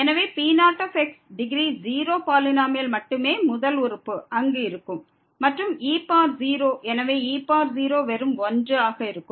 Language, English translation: Tamil, So, the the degree 0 polynomial only the first term will be present there and power 0, so power 0 will be just 1